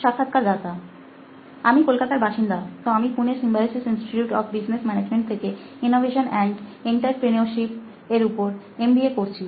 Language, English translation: Bengali, I am from Calcutta, so I am perceiving MBA Innovation and Entrepreneurship from Symbiosis Institute of Business Management, Pune